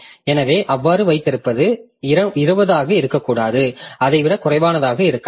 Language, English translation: Tamil, So, this may not be 20 may be something less than that